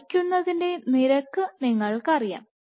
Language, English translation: Malayalam, The next question is you know the rate of pulling